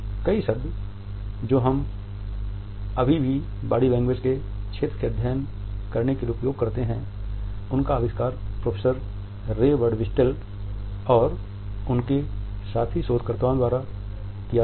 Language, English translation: Hindi, Several terms which we still use to a study the field of body language, but invented by professor Ray Birdwhistell and his fellow researchers